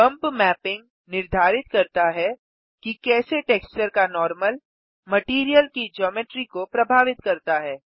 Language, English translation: Hindi, Bump mapping determines how the normal of the texture affects the Geometry of the material